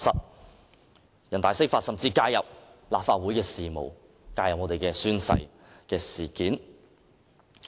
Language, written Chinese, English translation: Cantonese, 人大常委會釋法甚至介入立法會事務，介入宣誓事件。, NPCSCs interpretation of the Basic Law has even interfered in the affairs of the Legislative Council that it the oath - taking incident